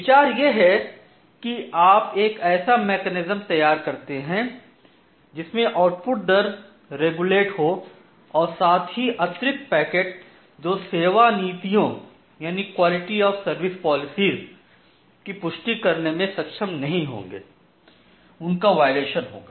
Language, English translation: Hindi, So, the idea is that what you do that you design a mechanism such that your output rate will get regulated and at the same time the additional packets which are there which will not be able to confirm to the quality of service policies that will get violated